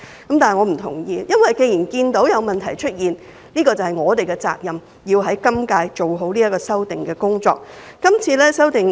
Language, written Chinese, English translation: Cantonese, 既然我們看到有問題出現，我們就有責任要在今屆立法會做好修訂的工作。, As we have noticed certain problems we are precisely duty - bound to undertake an amendment exercise properly within the current term of the Legislative Council